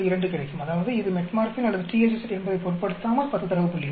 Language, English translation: Tamil, 2; that means, irrespective of whether it is Metformin or THZ, 10 data points